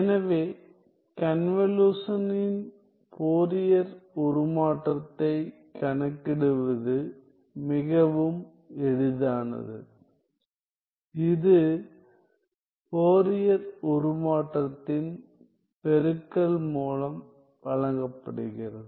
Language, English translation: Tamil, So, the Fourier transform of the convolution is quite easy to calculate, which is given by the product of the Fourier transform